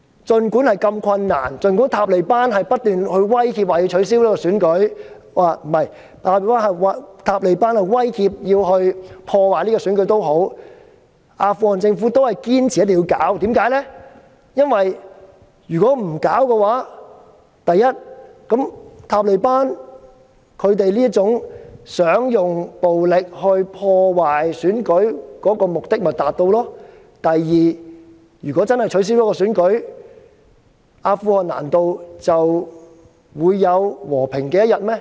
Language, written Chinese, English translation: Cantonese, 儘管過程如此困難，儘管塔利班不斷威脅會破壞選舉，阿富汗政府仍堅持一定要舉行選舉，原因是：第一，如果不舉行選舉，塔利班希望利用暴力破壞選舉的目的便會達成；第二，如果真的取消選舉，難道阿富汗便會有和平的一天嗎？, Despite the difficulty of the election process and the constant threat of the Taliban to disrupt the election the Afghan government still insisted on holding the election for the following reasons . First if the election was not held the Taliban would succeed in disrupting the election with violence; second if the election was really cancelled would there be peace in Afghanistan?